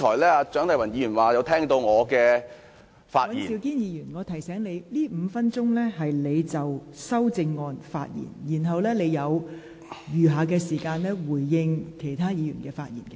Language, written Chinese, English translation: Cantonese, 尹兆堅議員，我想提醒你，這5分鐘時間是讓你就修正案發言，而你所餘的答辯時間則是讓你回應其他議員的發言。, Mr Andrew WAN I remind you that these five minutes are for you to speak on the amendments and any time left will be for you to make a reply during which you can respond to the speeches of other Members